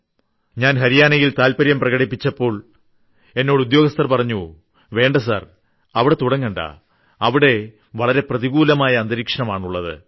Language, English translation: Malayalam, And when I picked Haryana, many of our officers told me to do away with that, saying there was a huge negative atmosphere in the state